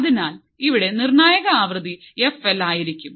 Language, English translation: Malayalam, So, here the critical frequency would be f l